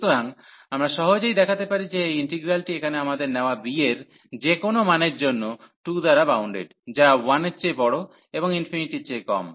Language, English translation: Bengali, So, we can easily show that this integral here is bounded by by 2 for any value of b we take, which is greater than 1 less than infinity